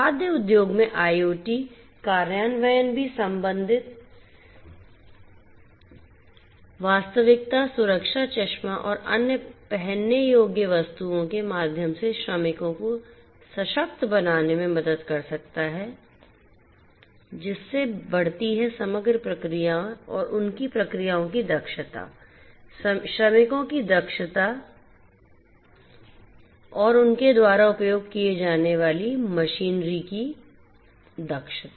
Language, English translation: Hindi, IoT implementation in the food industry can also help in empowering the workers through augmented reality safety glasses and other wearable, thereby increasing the overall productivity and efficiency of their processes, efficiency of the workers, efficiency of the machinery that they are using